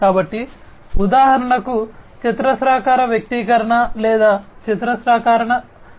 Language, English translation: Telugu, So for example, a quadratic expression or quadratic equation rather, you know